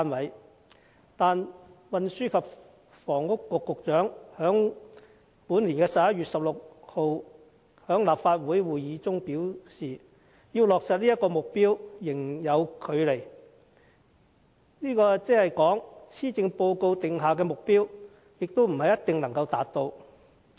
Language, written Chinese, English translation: Cantonese, 可是，運輸及房屋局局長在本年11月16日的立法會會議上表示，要落實這個目標仍有距離，即是說施政報告所訂的目標未必一定能夠達到。, However at the meeting of this Council held on 16 November the Secretary for Transport and Housing said that there was still some way to go to meet the target meaning that the target as laid down in the Policy Address might not be met